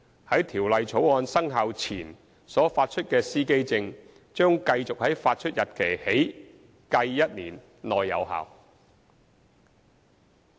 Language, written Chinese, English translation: Cantonese, 在《條例草案》生效前所發出的司機證，將繼續在發出日期起計1年內有效。, The driver identity plates issued before the commencement of the Bill will remain valid for one year from the date of issue